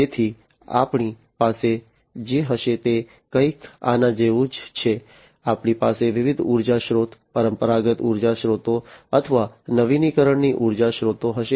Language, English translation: Gujarati, So, what we are going to have is something like this, we are going to have different energy sources, traditional energy sources, or the renewable energy sources